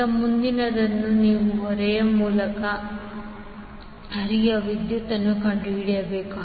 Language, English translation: Kannada, Now, next is you need to find out the current which is flowing through the load